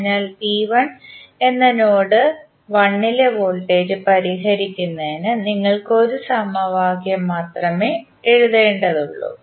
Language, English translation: Malayalam, So, you need to write only one equation to solve the voltage at node 1 that is V 1